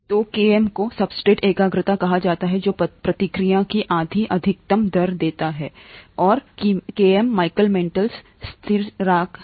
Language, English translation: Hindi, So Km is called the substrate concentration which gives half maximal rate of the reaction, right, and Km is the Michaelis Menton constant